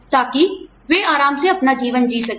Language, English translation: Hindi, So, that they are able to live their lives, comfortably